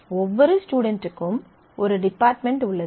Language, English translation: Tamil, Certainly, every instructor must have a department